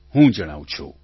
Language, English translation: Gujarati, Let me tell you